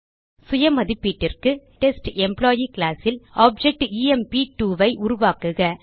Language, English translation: Tamil, For self assessment, Create an object emp2 in the Test Employee class already created